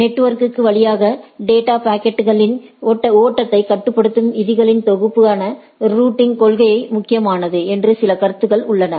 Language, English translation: Tamil, There are few more concepts one is that routing policy that is important the set of rules constraining the flow of data packets through the network right